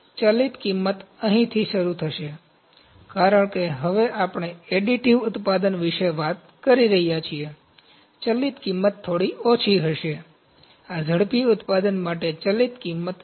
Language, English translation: Gujarati, Variable cost would start from here, because now we are talking about additive manufacturing variable cost would be little lower, this is variable cost for rapid manufacturing